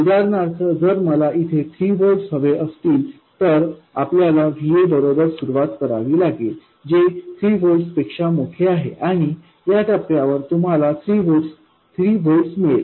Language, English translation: Marathi, For instance if you wanted 3 volts here you would start with the VA that is larger than 3 volts and at this point you will get 3 volts